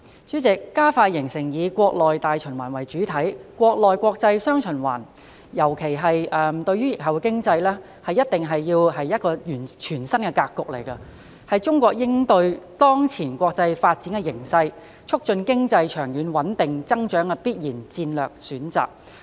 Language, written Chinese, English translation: Cantonese, 主席，加快形成以國內大循環為主體、國內國際"雙循環"，特別是對疫後經濟而言，必然是一個全新格局，是中國應對當前國際發展形勢、促進經濟長遠穩定增長的必然戰略選擇。, President expediting the formation of a domestic and international dual circulation which takes the domestic market as the mainstay is definitely a brand new pattern particularly for the post - pandemic economy . It is naturally a national strategy for China to cope with the current international development and foster long - term and steady economic growth